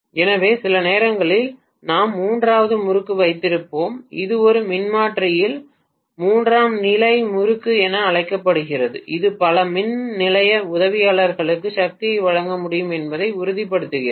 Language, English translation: Tamil, So sometimes we will have a third winding which is known as tertiary winding in a transformer to make sure that it is able to provide the power for many of the power station auxiliaries